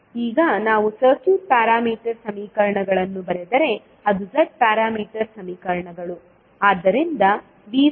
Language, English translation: Kannada, Now, if we write the circuit parameter equations that is Z parameter equations